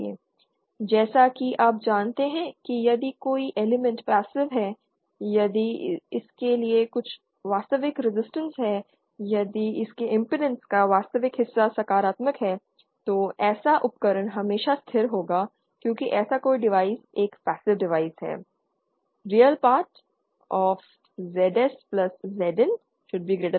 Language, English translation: Hindi, As you know passive if an element is passive that is if there is some real resistance to it if the real part of its impedance is positive, then such a device will always be stable because such a device is a passive device